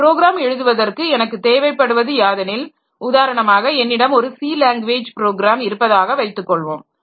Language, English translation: Tamil, For writing a program, I need for example, suppose I have got a C language program